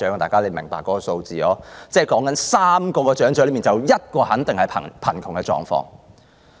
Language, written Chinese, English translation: Cantonese, 大家都明白這數字，指的是每3名長者便有1名肯定是貧窮。, We can see from this figure that one among three elderly people is poor